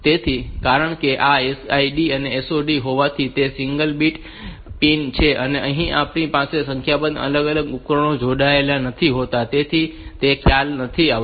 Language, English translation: Gujarati, So, since this SID and SOD, they are single bit pin and we can we do not have to have different devices, number of devices connected to it and all the so that concept is not there